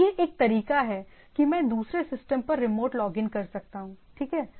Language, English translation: Hindi, So, it is a way that I can do a remote login to another system, right